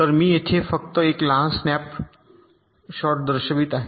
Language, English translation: Marathi, so here i am showing it only a small snap shot